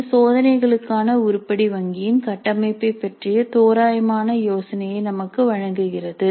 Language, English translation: Tamil, So this gives us an approximate idea of the structure of the item bank for test